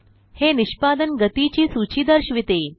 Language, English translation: Marathi, It shows a list of execution speeds